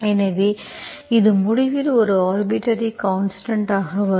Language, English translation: Tamil, So it will come as an arbitrary constant at the end